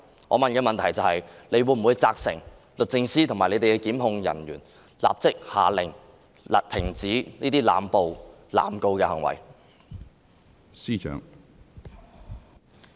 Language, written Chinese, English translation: Cantonese, 我的補充質詢是，她會否責成律政司及其檢控人員，立即下令停止這些濫捕、濫告的行為？, My supplementary question is Will she instruct DoJ and its prosecutors to immediately order an end to such acts of arbitrary arrest and indiscriminate prosecution?